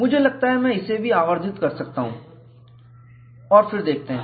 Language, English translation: Hindi, I think I can also magnify it and then show; you just see a dot